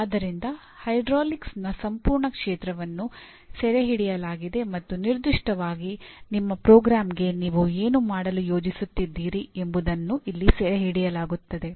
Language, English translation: Kannada, So the entire field of hydraulics is captured and specifically what you are planning to do to your program is captured here